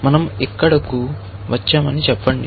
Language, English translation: Telugu, Let us say we come here; we come here